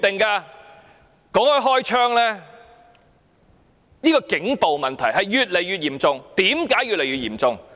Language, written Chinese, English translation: Cantonese, 談到開槍，警暴問題越來越嚴重。, Speaking of firing shots the problem of police brutality has become increasingly severe